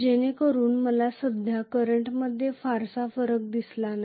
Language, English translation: Marathi, So that I would not see really much of variation in the current at all